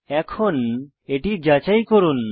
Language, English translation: Bengali, Lets check it